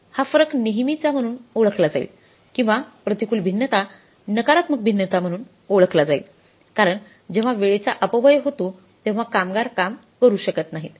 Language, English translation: Marathi, This variance will always be known as treated as or will be recognized as adverse variance, negative variance because when there is wastage of the time, idle time, labor could not work, labor could not produce